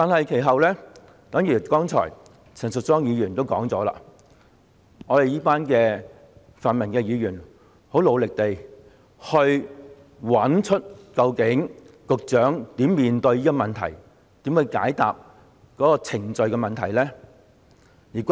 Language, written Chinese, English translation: Cantonese, 其後，正如陳淑莊議員剛才所說，我們一班泛民議員很努力地找出局長究竟可如何解決這個有關程序的問題。, Subsequently as Ms Tanya CHAN just mentioned we Members of the pan - democratic camp have worked really hard to figure out how the Secretary can possibly resolve this problem concerning procedures